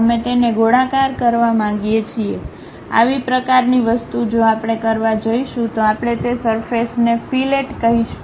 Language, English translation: Gujarati, We want to round it off, such kind of thing if we are going to do we call fillet of that surfaces